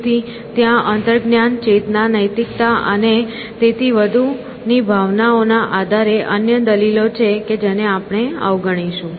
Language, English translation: Gujarati, So, there are other arguments based on emotion in intuition, consciousness, ethics, and so on which we will ignore